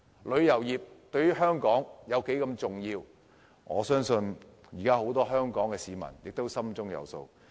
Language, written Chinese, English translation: Cantonese, 旅遊業對香港有多重要，我相信很多香港市民亦心中有數。, Likewise I think many Hong Kong people also know how important the tourism industry is to Hong Kong